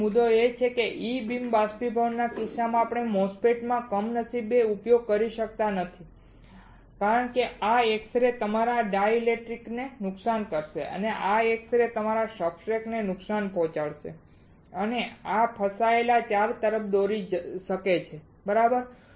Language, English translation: Gujarati, So, the point is that in case of E beam evaporators we cannot use unfortunately in MOSFET because this x rays will damage your dielectrics, this x ray will damage your substrate and this may lead to the trapped charges alright